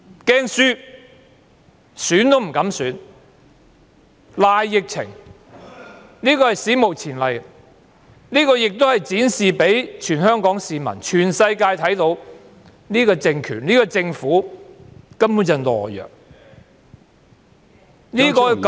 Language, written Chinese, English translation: Cantonese, 凡此種種，是史無前例的，亦讓全港市民及全世界看到，這個政權和政府是懦弱的......, All this is unprecedented and has served to show all Hong Kong people and the whole world that this political regime and the Government is a sheer coward